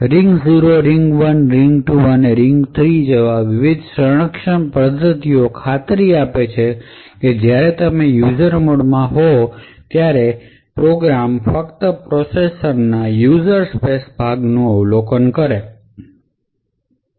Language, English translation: Gujarati, So, the various protection mechanisms like the ring 0, ring 1, ring 2 and ring 3 guarantee that when you are running in user mode a program can only observe the user space part of the process